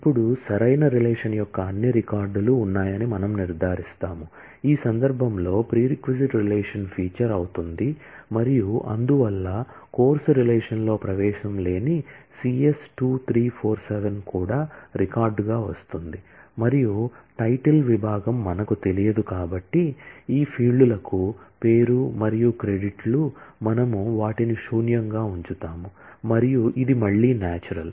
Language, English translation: Telugu, Now, we ensure that all records of the right relation, in this case the prereq relation will feature and therefore, C S 2347 for which there is no entry in the course relation will also come as a record and since we do not know the title department name and credits for these fields, we will put them as null and this again is a natural one